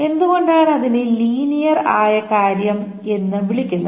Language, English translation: Malayalam, That is why this is called a linear probing